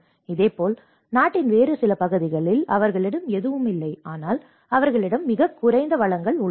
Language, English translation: Tamil, Similarly, in some other part of the country, they do not have anything, but they have very less resources